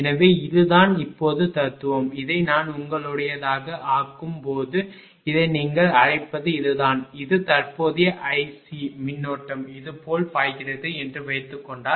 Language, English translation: Tamil, So, this is the philosophy now when I am making this your what you call this is this is the current suppose if I make that this is the i C current flowing like this